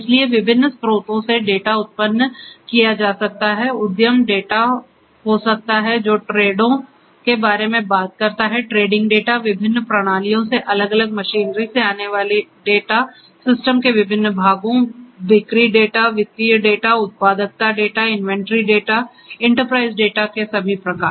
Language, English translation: Hindi, So, data can be generated from different sources can be enterprise data, which talks about you know trades you know trading data, data coming from different machinery from different systems different parts of the systems, sales data, financial data productivity data, inventory data, all kinds of enterprise data